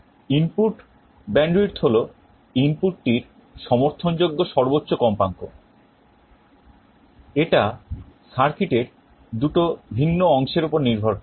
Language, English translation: Bengali, And input bandwidth is the maximum frequency of the input that can be supported, it depends on two different components of the circuit